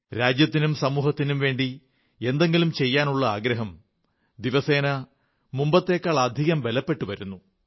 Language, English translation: Malayalam, The sentiment of contributing positively to the country & society is gaining strength, day by day